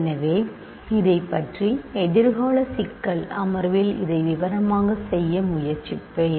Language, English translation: Tamil, So, let me not say anything more about this, in a future problem session I will try to do this in details